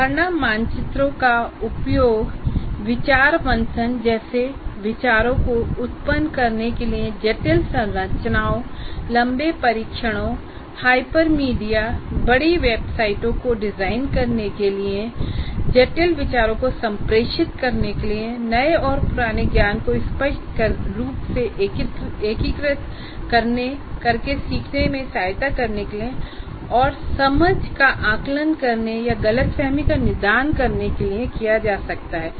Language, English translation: Hindi, Now, the concept maps can be used to generate ideas like for brainstorming, to design complex structures, long tests, hypermedia, large websites, to communicate complex ideas, to aid learning by explicitly integrating new and old knowledge and to assess understanding or diagnose misunderstanding